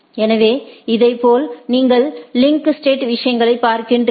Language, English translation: Tamil, So, similarly like what you are seeing the link state things